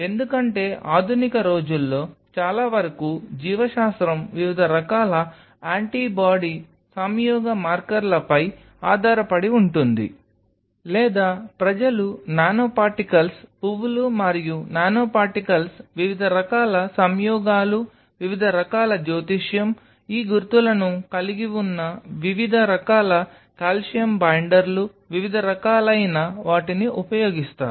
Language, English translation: Telugu, Because most of the modern days will biology depends heavily on different kind of antibody conjugated markers or people use nano particles flowers and nanoparticles, different kind of conjugations, different kind of astrology, where you have these markers different kind of calcium binders, different kind of movement or the drift of different kind of ions